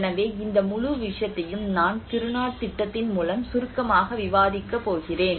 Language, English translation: Tamil, So this whole thing I am going to discuss briefly about the Kiruna project